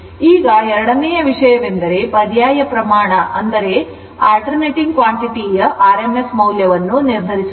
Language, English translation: Kannada, Now, second thing is to determine the rms value of an alternating quantity